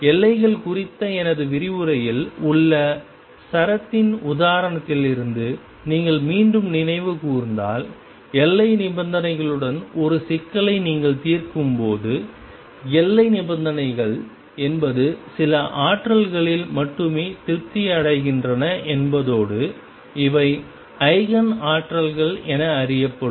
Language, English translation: Tamil, And when you solve a problem with boundary conditions if you recall again from the example of string in my lecture on waves, boundary conditions means that the boundary conditions are satisfied with only certain energies E n and these will be known as Eigen energies